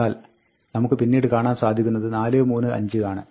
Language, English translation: Malayalam, But, you will also see, later on 4, 3, 5